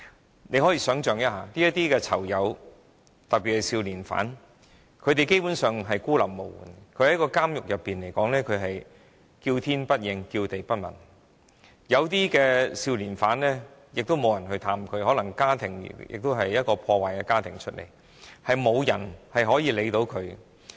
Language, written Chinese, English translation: Cantonese, 大家可以想象，這些囚友，特別是少年犯基本上孤立無援，他們在監獄內"叫天不應，叫地不聞"，有些少年犯也沒有人探望，可能因為他們來自破碎家庭，沒有人理會。, As we can imagine these inmates especially juvenile offenders are basically isolated and helpless and are suffering in silence . Some juvenile offenders have no visitors at all probably because they are from broken families and nobody cares about them